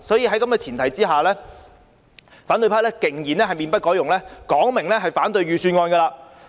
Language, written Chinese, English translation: Cantonese, 在這個前提下，反對派仍然面不改容，說明會反對預算案。, In spite of this the opposition is insistence in its stance and had made it clear that it will vote against the Bill